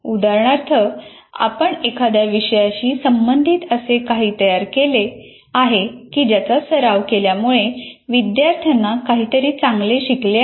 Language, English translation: Marathi, For example, did you create with respect to some subject that if you followed some practice and the students have learned something better